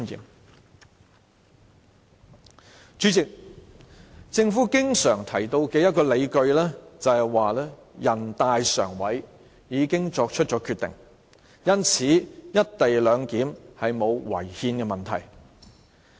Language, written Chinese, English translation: Cantonese, 代理主席，政府經常提到的理據是，全國人民代表大會常務委員會已經作出決定，因此"一地兩檢"沒有違憲的問題。, Deputy President an argument often mentioned by the Government is that the Standing Committee of the National Peoples Congress NPCSC has made a Decision and therefore the co - location arrangement does not contravene the Constitution